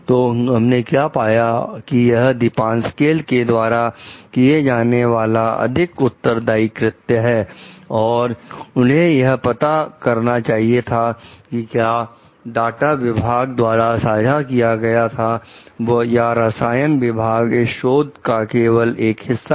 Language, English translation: Hindi, So, what we find like it would have been a more responsible act and part of Depasquale to like find out whether the whatever data has been shared by the department like the chemical department was a part of their research only